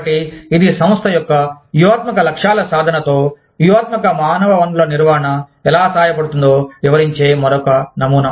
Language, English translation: Telugu, So, this is another model, that explains, how strategic human resources management can help, with the achievement of strategic objectives of the organization